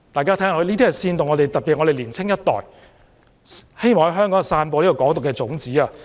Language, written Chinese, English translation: Cantonese, 這是在煽動本港的年輕一代，希望在香港散播"港獨"的種子。, He was instigating the young generation of Hong Kong with the hope of spreading the seeds of Hong Kong independence in Hong Kong